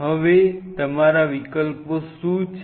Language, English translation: Gujarati, Now what are your options